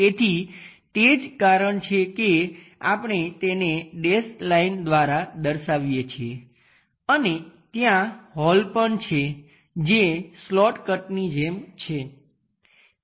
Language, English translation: Gujarati, So, that is the reason we show it by dashed one and there is a hole there also which goes like a slot cut